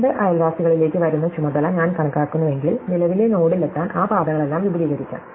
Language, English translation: Malayalam, So, if I count the task coming to the two neighbours, then each of those paths can be extended to reach the current node